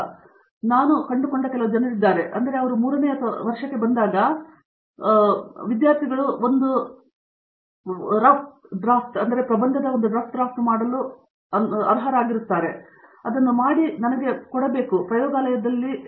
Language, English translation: Kannada, So, there are some people I found then I made a routine in the lab that students when coming to third year, final year should make 1 rough draft of a person and give it to me